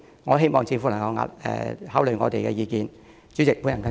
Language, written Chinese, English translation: Cantonese, 我希望政府能考慮我們的意見。, I urge the Government to consider our views